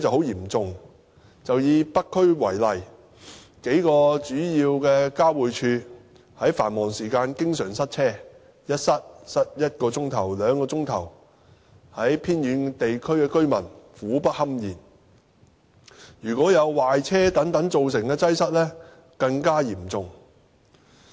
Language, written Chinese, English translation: Cantonese, 以北區為例，數個主要交匯處在繁忙時間經常塞車，有時塞車一小時，有時塞車兩小時，令偏遠地區的居民苦不堪言，如果有壞車等造成的擠塞，則更加嚴重。, Take the North District as an example a few main termini are always congested during rush hours . Traffic jams in the district can sometimes last for one hour or two hours making life difficult for residents in remote areas . Congestion caused by vehicle failure is even more serious